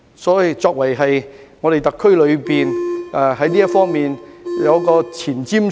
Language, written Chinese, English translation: Cantonese, 因此，我們特區應在這方面具有前瞻性。, Therefore the SAR Government should adopt a forward - looking attitude in this matter